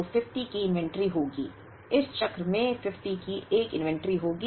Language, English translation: Hindi, 1 so expected inventory is 5